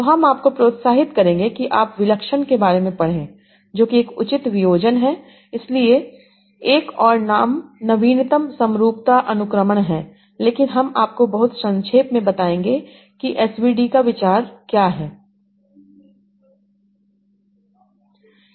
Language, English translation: Hindi, So I will increase that you read about singular value decomposition also another another name for that is latent symmetry indexing but I will just give you very briefly what is the idea of SVV